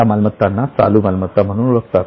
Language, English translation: Marathi, These assets are known as current assets